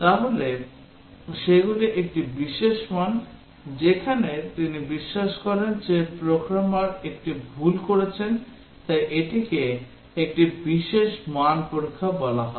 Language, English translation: Bengali, So those are special value, where he believes that the programmer would have made a mistake so that is called a special value testing